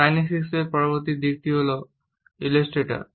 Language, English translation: Bengali, Next aspect of kinesics is illustrators